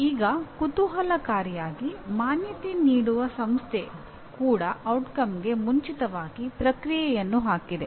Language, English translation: Kannada, Now interestingly even an accrediting organization put something like the process before the output